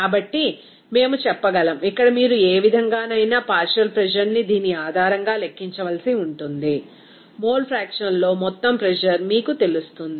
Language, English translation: Telugu, So, we can say that simply that here, any way you have to calculate that partial pressure based on this, you know total pressure into mole fraction